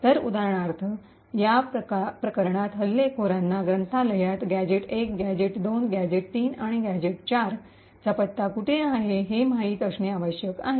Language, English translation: Marathi, So, for example, over here in this case the attacker would need to know where the address of gadgets1, gadget2, gadget3 and gadget4 are present in the library